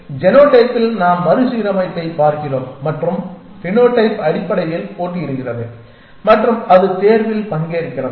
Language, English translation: Tamil, So, in genotype we look at recombination’s and the phenotype basically competes and its participates in selection